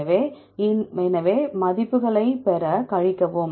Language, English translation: Tamil, So, to get the, subtract the values